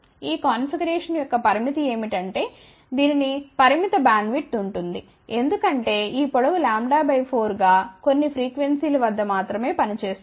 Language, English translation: Telugu, The limitation of this configuration is that it will have a limited bandwidth, because this length will act as lambda by 4 only at certain frequencies ok